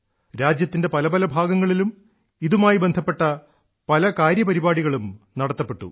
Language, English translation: Malayalam, Across different regions of the country, programmes related to that were held